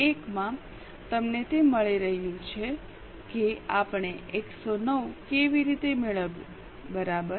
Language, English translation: Gujarati, 1 are you getting it how we got 109